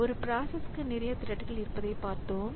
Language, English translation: Tamil, So, we have seen that the process may have multiple threads